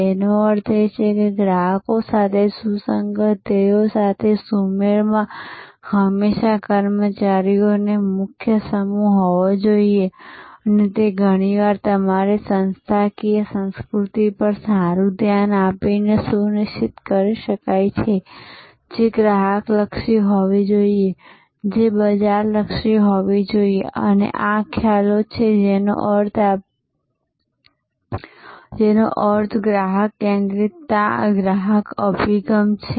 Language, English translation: Gujarati, That means there has to be always a core set of employees in tune with customers, in tune with the goals and that can be often ensured by paying good attention to your organizational culture, which should be customer oriented, which should be market oriented and these are concepts that what does it mean customer centricity, customer orientation